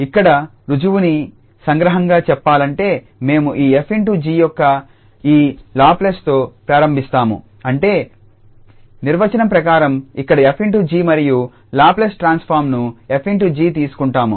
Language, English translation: Telugu, Just to give some outline of the prove here we will start with this Laplace of f star g that is by the definition because this is exactly the convolution here f star g and this f star g we have taken the Laplace transform